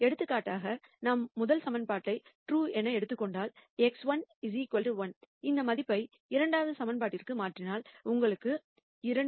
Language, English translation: Tamil, For example, if we were to take the first equation is true then x 1 equal to 1 and if we substitute that value into the second equation you will get 2 equal to minus 0